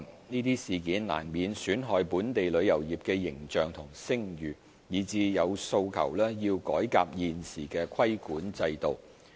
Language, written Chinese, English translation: Cantonese, 這些事件難免損害本港旅遊業的形象和聲譽，以致有訴求要改革現時的規管制度。, These incidents have inevitably tarnished the image and reputation of our travel industry calling for a need to reform the existing regulatory regime